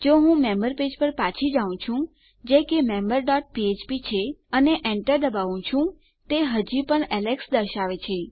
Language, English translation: Gujarati, If I go back to the member page which is member dot php and press enter it is still saying alex